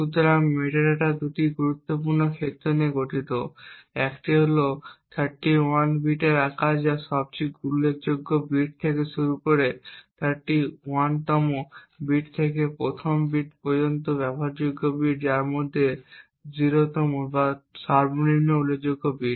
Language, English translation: Bengali, So the metadata comprises of two important fields, one is the size which is of 31 bits starting from the most significant bit which is the 31st bit to the first bit and the in use bit which is of which is the 0th or the least significant bit